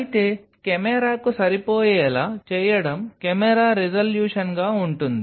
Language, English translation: Telugu, However, going to fit the camera want will be the camera resolution what